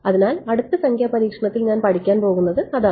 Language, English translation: Malayalam, So, that is what I am going to study in the next numerical experiment all right yeah ok